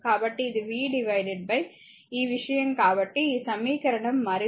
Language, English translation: Telugu, So, it is v upon this thing so, these equation you further, right